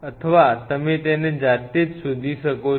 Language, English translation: Gujarati, Or you explore it by yourself